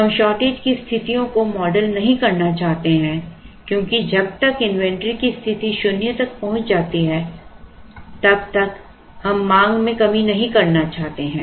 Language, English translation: Hindi, We do not want to model shortage situations no shortage since we do not want to model shortage as soon as the demand reaches as soon as the inventory position reaches zero